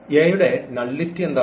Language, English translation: Malayalam, What is the nullity of A